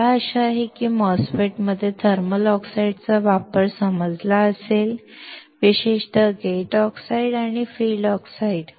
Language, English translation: Marathi, I hope that you understood the application of the thermal oxide in a MOSFET; particularly gate oxides and field oxides